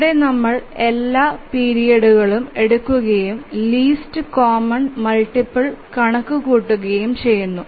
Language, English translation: Malayalam, So, we take all the periods and then compute the least common multiple